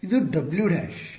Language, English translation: Kannada, This is W dash